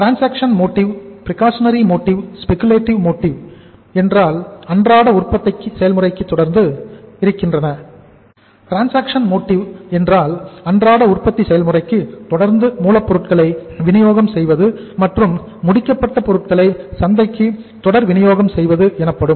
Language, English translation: Tamil, Transaction motive means we need the inventory for our manufacturing process, day to day process, continuous supply of raw material to the manufacturing process and continuous supply of the finished goods to the market